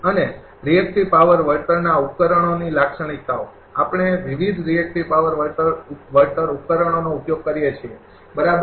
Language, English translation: Gujarati, And the characteristics of reactive power compensation reactive compensation devices we use different reactive power compensation devices, right